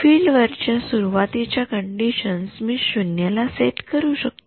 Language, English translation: Marathi, Initial conditions on the field I can set to 0